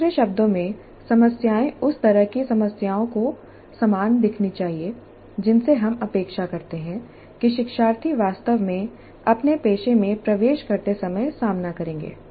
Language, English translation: Hindi, In other words, the problems should look very similar to the kind of problems that we expect the learners to face when they actually enter their profession